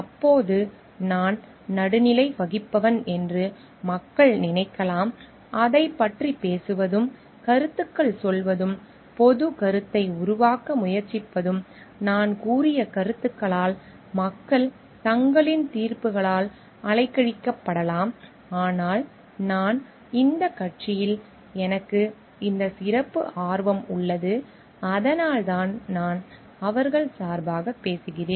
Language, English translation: Tamil, Then people may think it like I am a neutral person who are talking about it, making comments about it and trying to form public opinion about it and people may get swayed by their on the judgments by my statements that I have made, but if I express like I do have this special interest in this party that is why I am speaking on their behalf